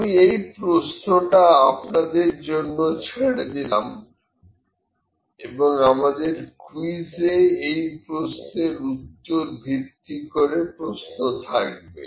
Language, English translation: Bengali, So, I will leave this question for you and will have the questions in the quiz based upon this question